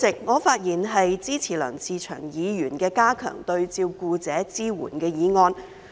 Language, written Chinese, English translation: Cantonese, 我發言支持梁志祥議員的"加強對照顧者的支援"議案。, I speak in support of Mr LEUNG Che - cheungs motion on Enhancing support for carers